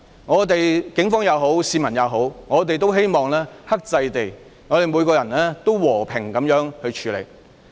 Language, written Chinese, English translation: Cantonese, 不論是警方也好、市民也好，我也希望大家可以克制，每個人也要和平處理事情。, Be it the Police or members of the public I hope that everyone can exercise restraint and everyone can go about things in a peaceful manner